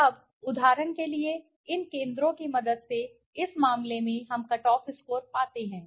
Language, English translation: Hindi, Now, for example, in this case with the help of these centroids we find the cut off scores